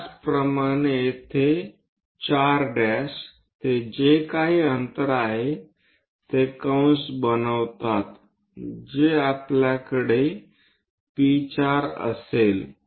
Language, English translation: Marathi, Similarly, here to 4 prime whatever distance is there make an arc such that we will have P4